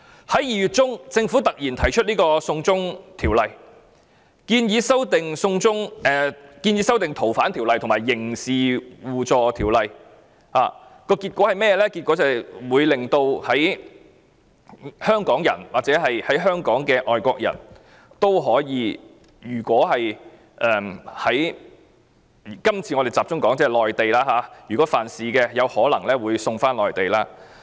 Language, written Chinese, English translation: Cantonese, 在2月中，政府突然提出《2019年逃犯及刑事事宜相互法律協助法例條例草案》，結果會導致香港人或在香港的外國人——我們今次集中談內地——如果曾在內地犯事，有可能會被送返內地。, In mid - February the Government suddenly proposed the Fugitive Offenders and Mutual Legal Assistance in Criminal Matters Legislation Amendment Bill 2019 . Hong Kong people or foreigners in Hong Kong who have committed crimes in the Mainland―we focus on the Mainland this time―might be transferred to the Mainland